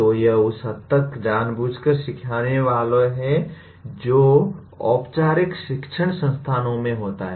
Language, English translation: Hindi, So to that extent it is intentional learning that happens in formal educational institutions